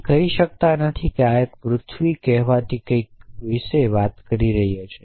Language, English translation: Gujarati, You cannot say that this 1 is talking about something called the earth